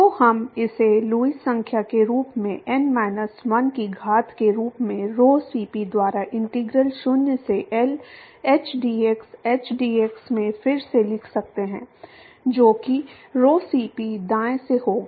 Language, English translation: Hindi, So, we can rewrite this as Lewis number to the power of n minus 1 by rho Cp into integral 0 to L hdx, hdx also that will be by rho Cp right